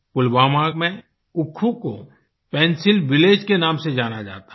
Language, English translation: Hindi, In Pulwama, Oukhoo is known as the Pencil Village